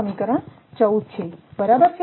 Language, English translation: Gujarati, So, this equation 19